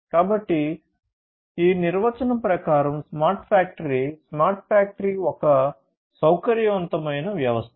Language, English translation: Telugu, So, smart factory as per this definition, “The smart factory is a flexible system